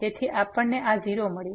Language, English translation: Gujarati, So, we got this 0